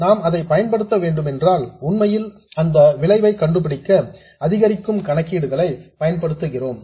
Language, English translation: Tamil, And if we do have to use that one, we actually use incremental calculations to find the effect of this one